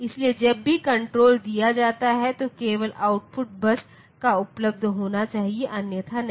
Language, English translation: Hindi, So, they whenever the control is given then only the output should be available on the bus otherwise not